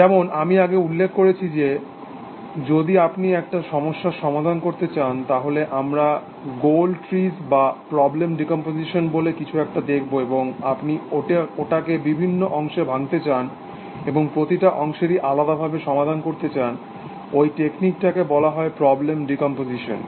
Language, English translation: Bengali, Then as I mentioned earlier that we will look at, something called goal trees or problem decomposition that if you want to solve a problem, and you want to break it up into parts, and solve each parts separately, that technique is called problem decomposition